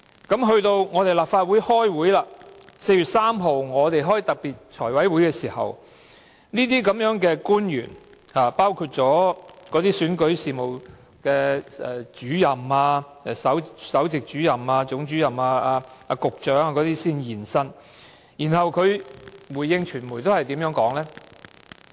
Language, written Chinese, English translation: Cantonese, 在4月3日的立法會特別財務委員會會議上，出席官員包括首席選舉事務主任、總選舉事務主任和局長等。他們如何回應傳媒的查詢呢？, In the special meeting of our Finance Committee held on 3 April how did the attending officers including the Principal Electoral Officer the Chief Electoral Officer and the Secretary respond to media enquiry?